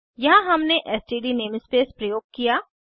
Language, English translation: Hindi, Here we have used std namespace